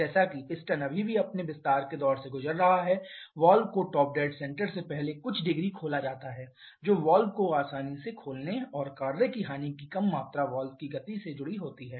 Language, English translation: Hindi, As the piston is still going through its expansion stroke the valve is opened a few degrees before top dead centre thereby allowing a smoother opening of the valve and less amount of work loss associated the movement of the valve